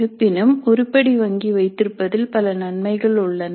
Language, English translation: Tamil, However there are several advantages in having an item bank